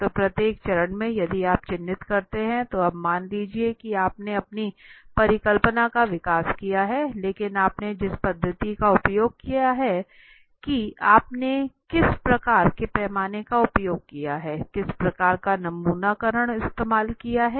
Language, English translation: Hindi, So in each step if you mark, now suppose if your hypothesis development you have done, but the methodology you have used, suppose what kind of scale you have used, what kind of sampling you have used right